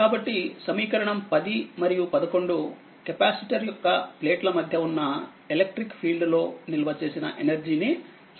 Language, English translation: Telugu, So, equation 10 and 11 give the energy stored in the electric field that exists between the plates of the capacitor